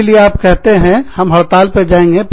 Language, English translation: Hindi, So, you say, okay, we will go on strike